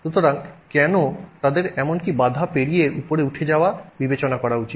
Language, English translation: Bengali, So why should it even consider going up the barrier